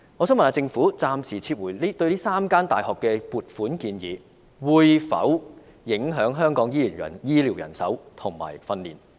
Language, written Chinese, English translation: Cantonese, 請問政府暫時撤回這3間大學的撥款建議，會否影響香港的醫療人手及培訓工作？, Will the provisional withdrawal of the funding proposals of these three universities affect the health care manpower and training in Hong Kong?